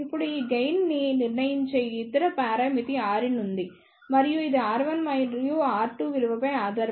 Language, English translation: Telugu, Now the other parameter that decides this gain is the R in and that depends upon the value of R 1 and R 2